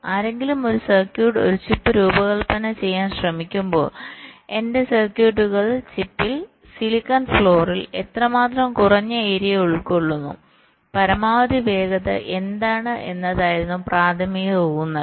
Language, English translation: Malayalam, so when someone try to design a circuit, a chip, the primary emphasis was how much less area is occupied by my circuits on the chip, on the silicon floor, and what is the maximum speed